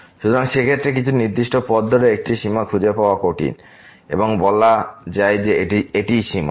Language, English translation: Bengali, So, in that case it is difficult to find a limit along some particular path and saying that this is the limit